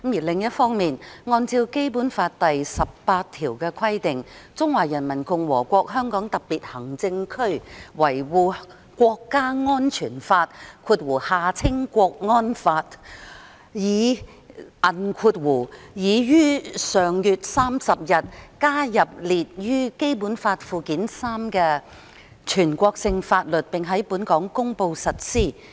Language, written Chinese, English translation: Cantonese, 另一方面，按照《基本法》第十八條的規定，《中華人民共和國香港特別行政區維護國家安全法》已於上月30日，加入列於《基本法》附件三的全國性法律，並在本港公布實施。, On the other hand pursuant to Article 18 of the Basic Law the Law of the Peoples Republic of China on Safeguarding National Security in the Hong Kong Special Administrative Region was added to the list of national laws in Annex III to the Basic Law and applied in Hong Kong by promulgation on the 30 of last month